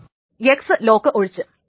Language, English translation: Malayalam, Then there is an X lock